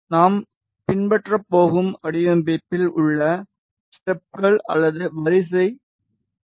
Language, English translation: Tamil, The steps or the sequence in the design that we are going to follow is this